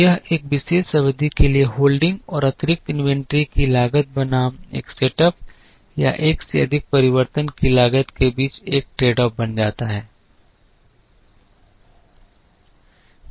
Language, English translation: Hindi, There it becomes a tradeoff between cost of holding and additional inventory for a particular period versus the cost of incurring one setup or one change over